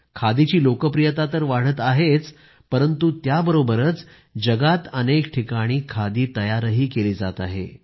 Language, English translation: Marathi, Not only is the popularity of khadi rising it is also being produced in many places of the world